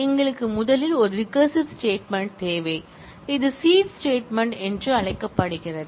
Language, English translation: Tamil, We need first a non recursive statement, which is called the seed statement